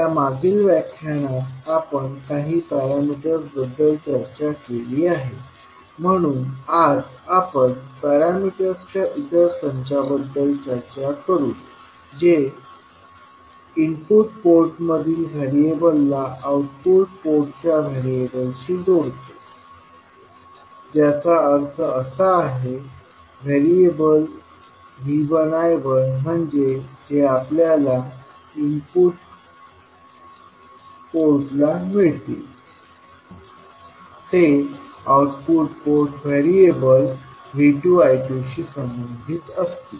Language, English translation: Marathi, So we discussed few of the parameters in our previous lectures, so today we will discuss about another set of parameters which relates variables at the input port to those at the output port that means the V 1 I 1 that is the variable we get at the input port will be related with the output port variable that is V 2 and I 2